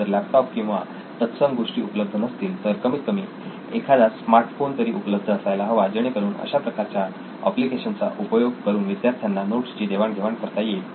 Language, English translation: Marathi, So if a laptop or such devices are not available, at least a smartphone should be available with the student so that these kind of applications can be made use of